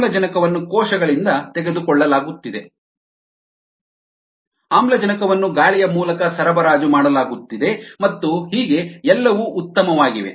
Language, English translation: Kannada, the oxygen is being taken in by the cells, the oxygen is supplied through aeration and so on